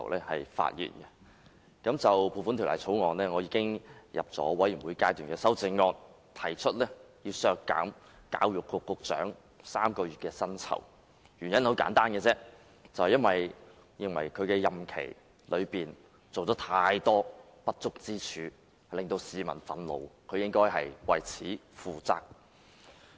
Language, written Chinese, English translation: Cantonese, 我已就《2017年撥款條例草案》提交全體委員會審議階段修正案，提出削減教育局局長3個月薪酬，原因很簡單，我認為他任內有太多不足之處，令市民憤怒，他應該為此負責。, I have submitted a Committee stage amendment CSA to the Appropriation Bill 2017 the Bill proposing to deduct the salaries of the Secretary for Education for three months . The reason is very simple . I think the Secretarys performance is highly ineffective during his term of office which has infuriated the public and he should be held responsible